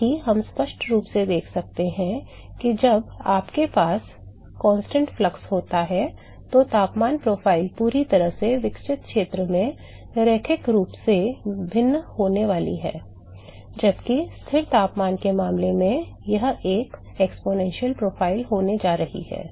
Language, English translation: Hindi, Also we can clearly see that when you have constant flux the temperature profile is going to vary linearly in the fully developed region, while in the case of constant temperature it is going to be an exponential profile